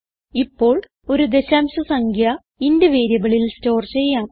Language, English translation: Malayalam, Now let us store a decimal number in a int variable